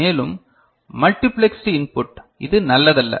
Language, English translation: Tamil, And for, multiplexed input it is not advisable